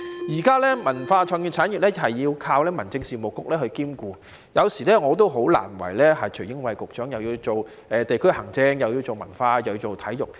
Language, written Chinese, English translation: Cantonese, 現在文化創意產業要靠民政事務局兼顧，有時候我也替徐英偉局長感到為難，又要做地區行政，又要做文化，又要做體育。, At present the cultural and creative industries are under the purview of Home Affairs Bureau . Sometimes I also feel sorry for Secretary Caspar TSUI . He has to take charge of district administration cultural affairs and also sports